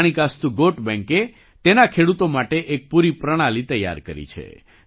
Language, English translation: Gujarati, Manikastu Goat Bank has set up a complete system for the farmers